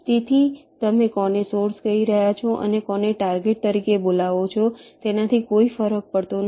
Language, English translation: Gujarati, ok, so it does not matter which one you are calling a source and which one you calling as target